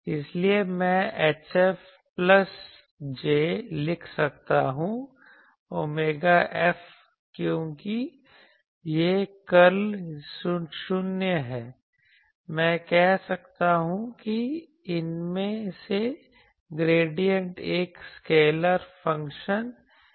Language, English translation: Hindi, So, I can write H F plus j omega F that since curl of this is 0, I can say that gradient of these is a scalar function Vm